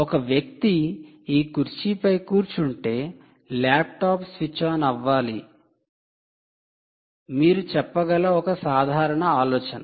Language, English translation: Telugu, one simple idea you can say is: if a person sits on this chair, the laptop switches on right